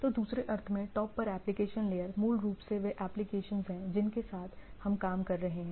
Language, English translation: Hindi, So, in other sense the application layer at the top is basically the applications what we are working with